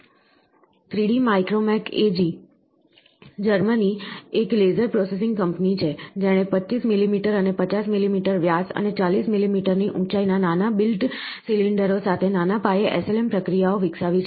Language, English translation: Gujarati, 3D Micromac AG, Germany, is the, is a laser processing company which has developed small, small scale SLM processes with small built cylinders of 25 millimetre and 50 millimetre in diameter and a height of 40 millimetre in height